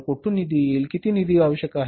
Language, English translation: Marathi, How much funds are required